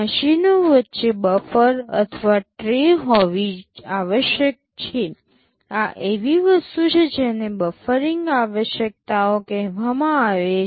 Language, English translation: Gujarati, There must be a buffer or a tray between the machines, these are something called buffering requirements